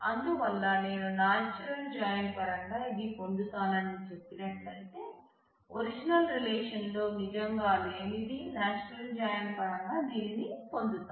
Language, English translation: Telugu, So, if I say this is what I get as well in terms of natural join, this is what I get as well in terms of the natural join which are really not there in the original relation